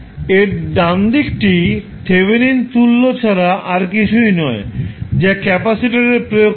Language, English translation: Bengali, The right side of that is nothing but Thevenin equivalent which is applied across the capacitor